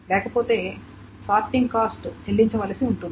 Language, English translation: Telugu, So if not, this sorting cost must be paid